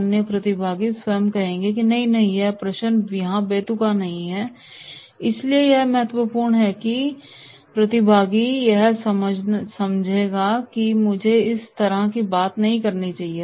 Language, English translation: Hindi, The other participant himself will say that “No no no, this question is not relevant right” so therefore what is important is that he will understand that I should not talk like this